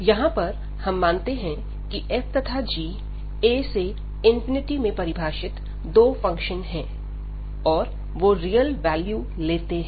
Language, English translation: Hindi, So, here we suppose that this f and g, these are the two functions defined from this a to infinity, and they are taking the real value